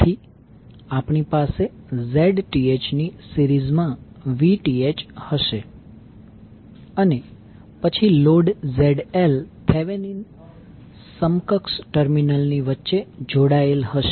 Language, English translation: Gujarati, So, we will have Vth in series with Zth and then load ZL will be connected across the Thevenin equivalent terminal